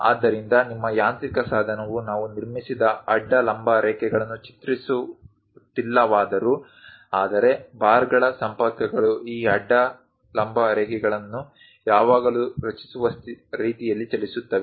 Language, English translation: Kannada, So, your mechanical device though we are not drawing constructed horizontal vertical lines; but the bars linkages moves in such a way that it always construct these horizontal vertical lines